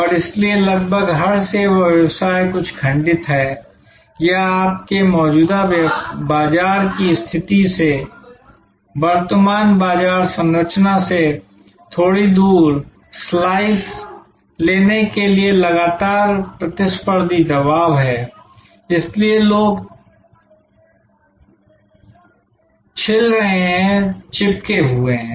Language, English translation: Hindi, And so therefore, almost every service business is somewhat fragmented or there are constant competitive pressure to fragment slight taking slices away from the current market structure from your current market position, so people are chipping, chipping